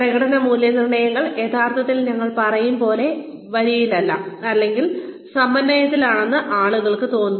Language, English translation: Malayalam, People feel that, the performance appraisals are not really, in line, or they are not in sync, as we say